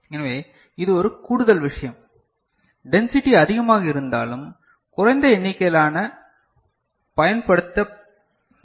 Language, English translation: Tamil, So, this is an additional thing though the density is more less number, least number of parts are used